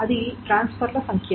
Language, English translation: Telugu, That is the number of transfers